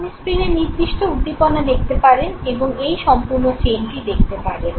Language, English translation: Bengali, You can see certain stimulus on the screen and see this full chain